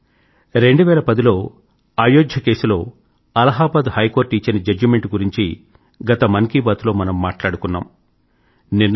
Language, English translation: Telugu, Friends, in the last edition of Man Ki Baat, we had discussed the 2010 Allahabad High Court Judgment on the Ayodhya issue